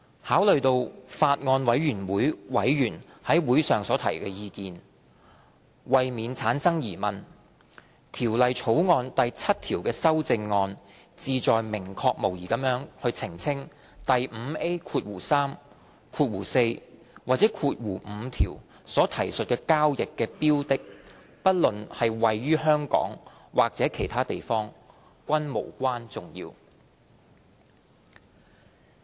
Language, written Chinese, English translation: Cantonese, 考慮到法案委員會委員於會上所提的意見，為免產生疑問，《條例草案》第7條的修正案旨在明確無疑地澄清第 5A3、4或5條所提述的交易的標的，不論是位於香港或其他地方，均無關重要。, Having regard to views raised by members at the Bills Committee meeting to avoid doubt clause 7 is to clarify beyond doubt that it is immaterial whether the subject matter of a transaction referred to in section 5A3 4 or 5 is in Hong Kong or elsewhere